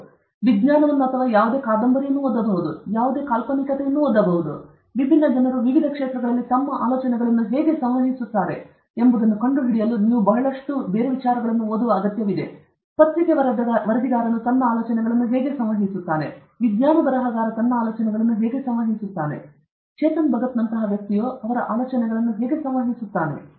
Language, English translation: Kannada, You may do fiction, you may read fiction, you may read nonfiction, whatever; you have to do lot of reading to find out how different people communicate their ideas in different fields how a newspaper correspondent communicates his ideas; how a science writer communicates his ideas; how a person like Chetan Bhagat communicates his ideas